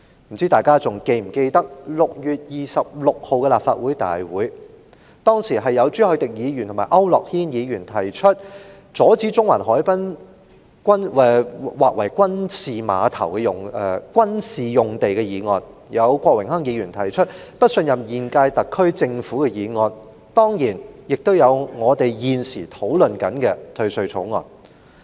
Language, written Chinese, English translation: Cantonese, 不知道大家是否還記得，在6月26日的立法會大會上，當時朱凱廸議員和區諾軒議員提出阻止中環海濱劃為軍事用地的議案，郭榮鏗議員又提出"不信任第五屆香港特別行政區政府"議案，當然亦有我們現時正在討論的《2019年稅務條例草案》。, I am not sure if Members can still remember on the Legislative Council meeting held on 26 June Mr CHU Hoi - dick and Mr AU Nok - hin proposed resolutions to prevent the rezoning of a site in the Central promenade to military use Mr Dennis KWOK proposed a motion on No confidence in the Fifth Term Government of the Hong Kong Special Administrative Region . And of course also on the Agenda was the Inland Revenue Amendment Bill 2019 the Bill which is under our discussion now